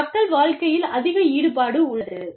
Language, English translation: Tamil, There is more involvement, in people's lives